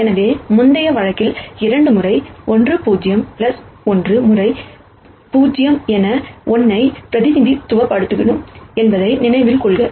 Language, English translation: Tamil, So, remember we represented 2 1 in the previous case, as 2 times 1 0 plus 1 times 0 1